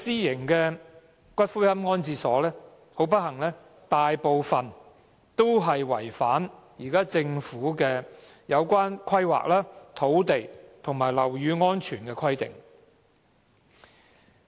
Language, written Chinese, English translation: Cantonese, 很不幸，這些私營龕場大部分都違反現行的有關規劃、土地及樓宇安全的規定。, Unfortunately most of these private columbaria have breached the existing regulations in respect of planning land and building safety